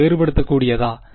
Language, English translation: Tamil, Is it differentiable